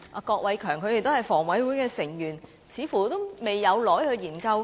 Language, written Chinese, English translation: Cantonese, 但是，房委會表示還未有怎樣研究。, HKHA however stated that it has not conducted any particular study yet